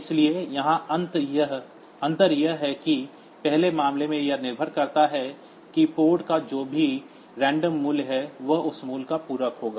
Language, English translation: Hindi, So, here the difference is that in the first case, it depends whatever be the random value the port has so it will be complimenting that value